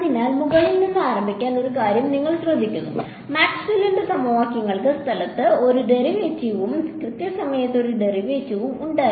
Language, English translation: Malayalam, And so you notice one thing let us start from the top, Maxwell’s equations had a derivative in space and a derivative in time right